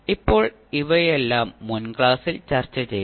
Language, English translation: Malayalam, Now, these we have discussed in the previous class